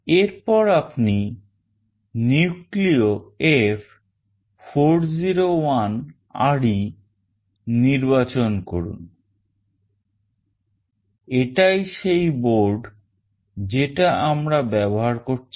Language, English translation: Bengali, And then you select NucleoF401RE; this is the board that we are using